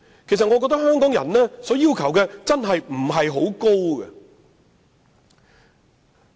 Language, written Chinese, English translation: Cantonese, 主席，我覺得香港人的要求並不是很高。, President I think Hong Kong people are not demanding at all